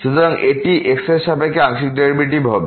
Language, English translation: Bengali, So, this will be the partial derivative with respect to